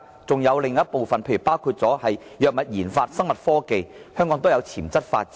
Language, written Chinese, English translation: Cantonese, 另一個領域就是包括藥物研發、生物科技，香港均有潛質發展。, One more possible area is pharmaceutical research and biotechnology . Hong Kong has development potentials in this area